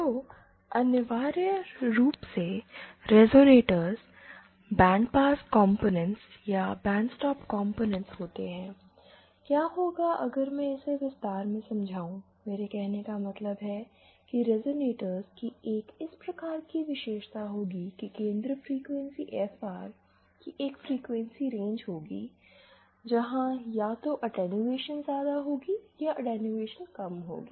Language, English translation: Hindi, So, essentially, resonators are bandpass components or bandstop components, so what they if I can elaborate what I mean, resonator will have a characteristic like this, centre frequency FR with a range of frequencies where either the attenuation will be large or the attenuation will be less